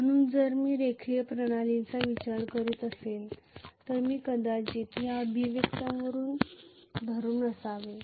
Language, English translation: Marathi, So if I am considering a linear system I should probably be holding onto this expression